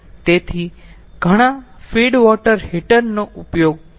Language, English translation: Gujarati, so those many feed water heaters are used